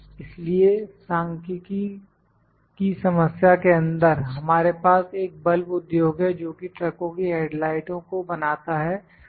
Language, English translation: Hindi, So, in the numerical problem we have in this question a bulb industry produces lamps for the headlights of trucks